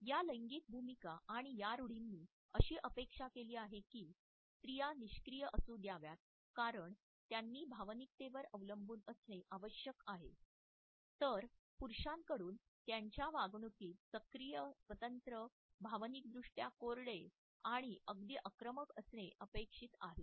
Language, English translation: Marathi, These gender roles and these stereotypes expect that women should be passive they should be dependent emotional, whereas men are expected to be active and independent unemotional and even aggressive in their day to day behavior